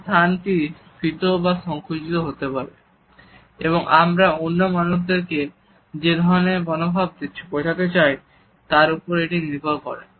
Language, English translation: Bengali, This space can inflate or shrink and the range also decides the type of attitude which we want to show towards other people